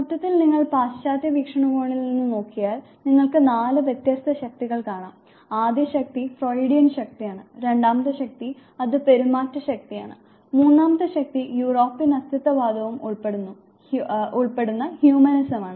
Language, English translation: Malayalam, Overall if you look at the western perspective you have find four different forces, first force which is the Freudian force, second force which is the behaviorist force, third force which is humanism including the European existentialism and the forth force is a transpersonal psychology